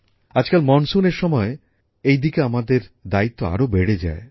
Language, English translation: Bengali, These days during monsoon, our responsibility in this direction increases manifold